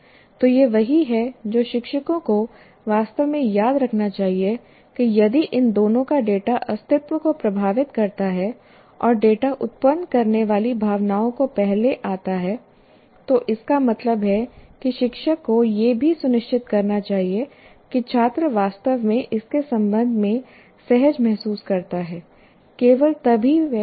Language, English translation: Hindi, So this is what teachers should really, really remember that if data from these two affecting survival and data generating emotions, when it comes first, that means teacher should also make sure that the student actually feels comfortable with respect to this, then only he can learn properly